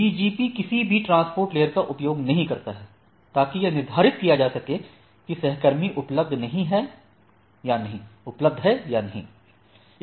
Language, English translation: Hindi, That BGP does not use any transport layer keep alive to determine if the peers are reachable or not